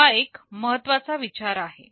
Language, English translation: Marathi, This is a very important consideration